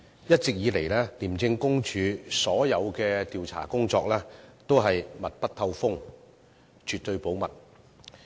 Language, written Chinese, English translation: Cantonese, 一直以來，廉政公署所有調查工作都是密不透風，絕對保密。, ICAC has all along handled its investigation work in strict confidence